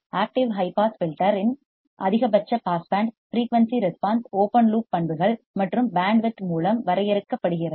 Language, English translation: Tamil, The maximum pass band frequency response of the active high pass filter is limited by open loop characteristics and bandwidth